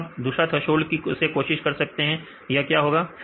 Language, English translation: Hindi, Then we try another threshold here now what will happen